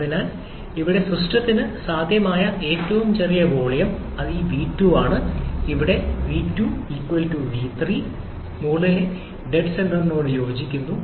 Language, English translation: Malayalam, So, here the smallest possible volume the system can have is this v2 which is=v3 which corresponds to the top dead center